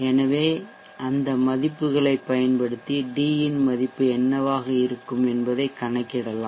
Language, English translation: Tamil, So using those values we can calculate what should be the value of T